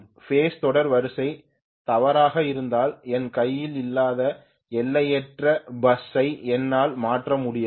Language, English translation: Tamil, If the phase sequences are wrong, then I cannot change the infinite bus that is not in my hand